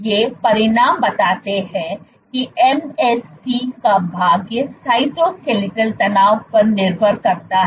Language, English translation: Hindi, These results show that MSC fate depends on cytoskeletal tension